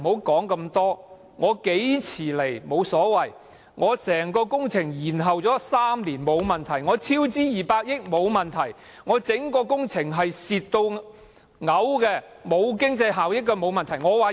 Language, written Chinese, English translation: Cantonese, 法案何時提交，沒問題；整項工程延後3年，沒問題；超資200億元，沒問題；整項工程嚴重虧損，毫無經濟效益，也沒問題。, It does not matter when the bill will be submitted; it does not matter that the project has been delayed for three years or there is a cost overrun of 20 billion; it does not matter if the project is making a serious loss and is not cost - effective at all